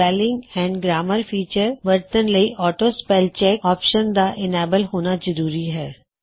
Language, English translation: Punjabi, To use the Spelling and Grammar feature, make sure that the AutoSpellCheck option is enabled